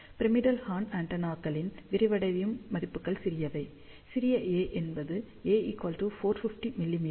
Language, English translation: Tamil, The flared values of the pyramidal horn antennas are small a becomes capital A, which is 450 mm